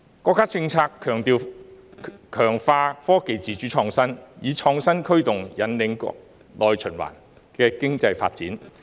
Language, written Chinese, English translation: Cantonese, 國家政策強調強化科技自主創新，以創新驅動引領內循環的經濟發展。, The national policy emphasizes the boost of independent innovation and the role of innovation as a driving force for economic development